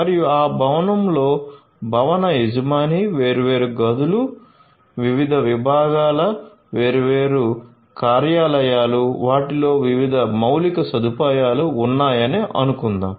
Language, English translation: Telugu, This building will have an owner, this building has different rooms, different departments different offices, different you know different infrastructure in them